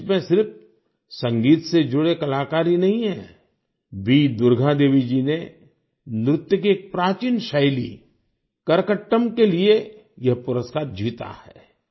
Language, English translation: Hindi, This list doesn't just pertain to music artistes V Durga Devi ji has won this award for 'Karakattam', an ancient dance form